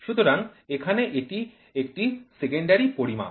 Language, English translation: Bengali, So, here it is a secondary measurement